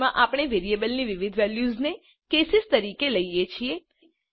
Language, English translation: Gujarati, In switch we treat various values of the variable as cases